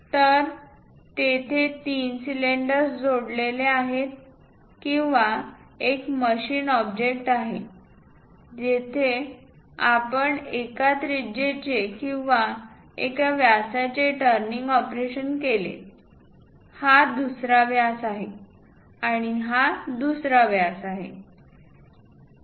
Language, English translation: Marathi, So, there are 3 cylinders connected with each other or a single machine object, where you made a turning operation of one radius or one diameter, another diameter and this one is another diameter